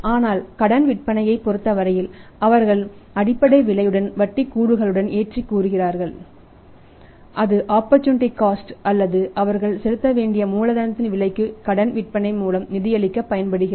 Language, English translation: Tamil, But in case of the credit sales they are loading the price basic price with the interest component which is either a opportunity costs or the cost of the capital they have to pay which is used to fund the credit sales